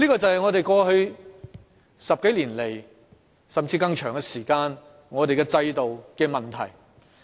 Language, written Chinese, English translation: Cantonese, 這便是過去10多年來，甚至更長時間，我們的制度所出現的問題。, This is exactly the case of our system over the past decade or even a longer period